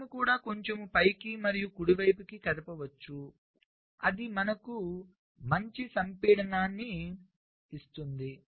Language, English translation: Telugu, you can also move a little up and then right, if that gives you a better compaction